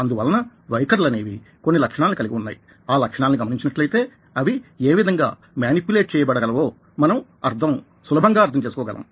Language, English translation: Telugu, so attitudes have certain qualities and if you look at those qualities, it becomes easy for us to understand how they can be manipulated